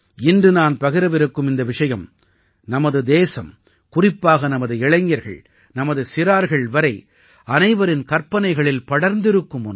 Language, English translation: Tamil, Today I want to discuss with you one such topic, which has caught the imagination of our country, especially our youth and even little children